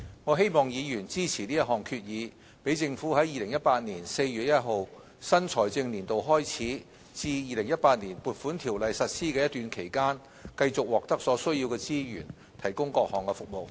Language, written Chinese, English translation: Cantonese, 我希望議員支持這項決議，讓政府在2018年4月1日新財政年度開始至《2018年撥款條例》實施的一段期間，繼續獲得所需資源提供各項服務。, I hope Members will support the motion to enable the Government to carry on its services between the start of the financial year on 1 April 2018 and the time when the Appropriation Ordinance 2018 comes into effect with the resources needed